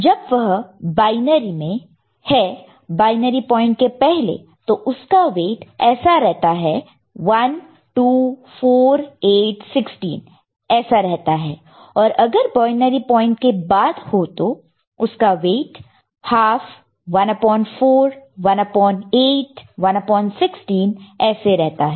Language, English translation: Hindi, When it is binary, before the binary point we had weights like 1, 2, 4, 8, 16 so on and so forth and after the binary point it was half, 1 upon 4, 1 upon 8, 1 upon 16, so on and so forth, ok